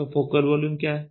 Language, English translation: Hindi, So, what is a focal volume